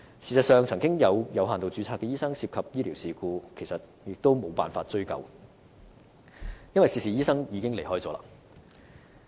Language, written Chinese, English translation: Cantonese, 事實上，以往曾有有限度註冊醫生涉及醫療事故，但最終也無法追究，因為涉事醫生已經離開。, In fact there have been cases of doctors with limited registration being involved in medical incidents but eventually it was impossible to pursue their responsibility because the doctors involved had already left Hong Kong